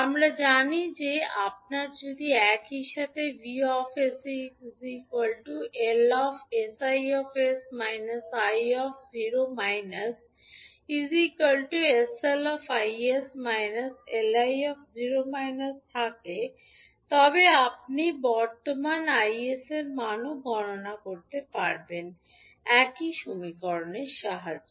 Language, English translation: Bengali, So, we know that if you have vs is equal to s lis minus li note li at at time t is equal to 0 at the same time you can also calculate the value of current i s with the help of the same equation